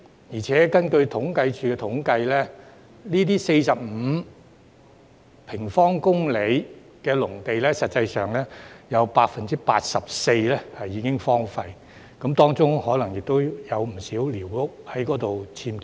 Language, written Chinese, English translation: Cantonese, 況且，根據政府統計處的統計，這45平方公里農地，實際上有 84% 已經荒廢，當中可能亦有不少僭建的寮屋。, Moreover 84 % of the aforesaid 45 sq km of agricultural land has actually been left idle according to the statistics of the Census and Statistics Department where a lot of unauthorized squatter structures were probably erected